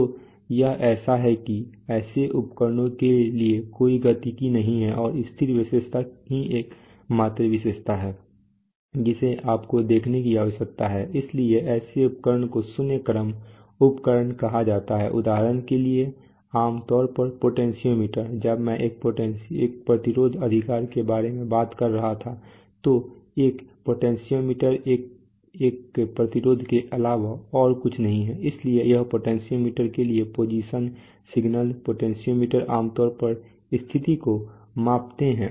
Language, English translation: Hindi, So it is a so for such instrument there is no dynamics and the static characteristic is the only characteristic that you need to see, so such instruments are called zero order instruments for example typically for example, Potentiometer, when I was talking about a resistance right, so a potentiometer is nothing but a resistance, so for a potentiometer the position signals, potentiometers typically measure position which